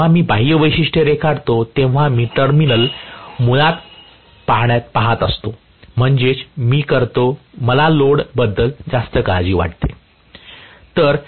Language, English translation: Marathi, When I draw the external characteristics, I am going to look at the terminals basically so which means I will, I am more concerned about the load